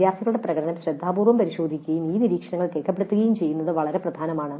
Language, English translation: Malayalam, So it is very important that the performance of the students is carefully examined and these observations are recorded